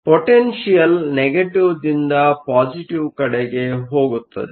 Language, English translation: Kannada, Potential goes from negative to positive